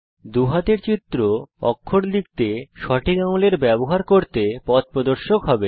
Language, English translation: Bengali, The two hand images will guide you to use the right finger to type the character